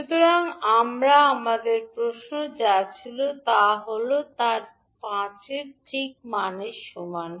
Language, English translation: Bengali, So what we had in our question is its fix value as R equal to 5ohm